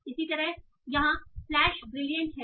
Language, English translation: Hindi, Similarly here, the flash is brilliant